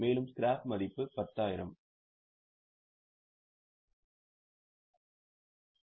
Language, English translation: Tamil, Scrap value is 10,000